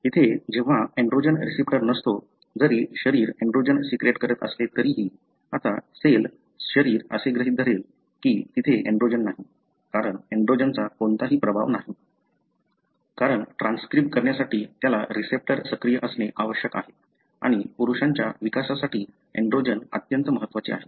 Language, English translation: Marathi, So, when there is no androgen receptor, even if the body secrets the androgen, now the cell, the body would assume that there is no androgen, because there is no effect of androgen, because it needs the receptor to be active to go and transcribe and the androgen is very very critical for male development